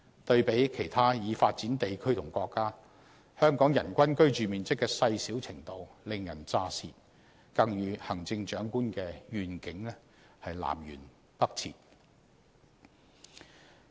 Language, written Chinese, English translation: Cantonese, 對比其他已發展地區和國家，香港人均居住面積的細小程度令人咋舌，更與行政長官的願景南轅北轍。, Compared to other developed economies and countries the average living space per person in Hong Kong is surprisingly small not to mention that the situation is poles apart from the Chief Executives vision